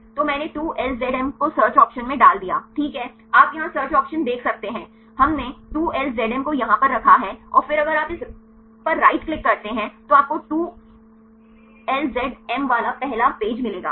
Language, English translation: Hindi, So, I put 2LZM in the search option right you can see the search option here right we have put the 2LZM here right and then if you click on this go right then you will get the first page with 2LZM